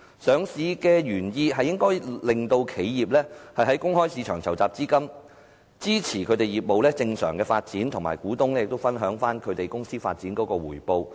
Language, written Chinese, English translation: Cantonese, 上市的原意應該是令企業在公開市場籌集資金，支持業務正常發展，以及讓股東分享公司發展的回報。, The original intent of the current regime is to allow these corporations to raise funds in the market in order to support the normal growth of their businesses as well as to let shareholders to gain returns from the growth of these corporations